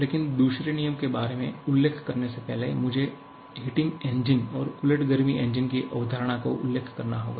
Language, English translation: Hindi, But before mentioning about the second law, I have to mention the concept of heating engine and reversed heat engine